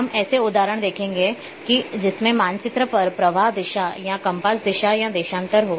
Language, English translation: Hindi, We will see the example that like including flow direction on a map or compass direction or longitude